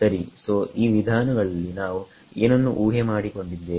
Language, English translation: Kannada, Right so, in these methods what did we assume